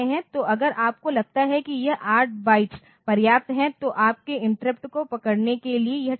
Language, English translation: Hindi, So, if you find that this 8 bytes are sufficient, then for holding your interrupts it is fine